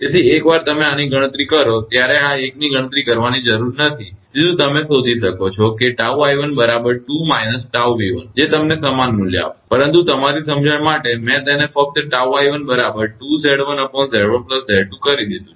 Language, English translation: Gujarati, So, once you calculate this there is no need to calculate this 1 directly you can find out tau i 1 is equal to 2 minus tau V 1 that will give you the same value, but for your understanding I have just make it i 1 tau i 1 is equal to 2 Z 1 upon Z 1 plus Z 2 hence, it is 1